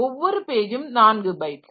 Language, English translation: Tamil, So, each page is of 4 byte